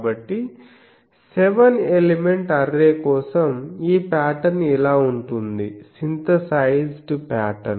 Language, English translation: Telugu, So, for a seven element array, you see the pattern is like this, the synthesized pattern